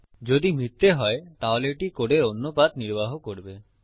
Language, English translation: Bengali, If it is False, it will execute another path of code